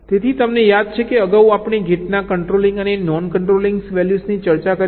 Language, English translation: Gujarati, ok, so earlier you recall, we discussed the controlling and non controlling values of the gates